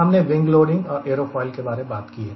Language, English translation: Hindi, we have talked about wing loading, we have talked about aerofoil